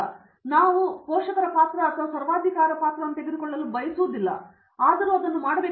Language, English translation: Kannada, So one of thing though we do not want to take parental role or a dictator role and say, do it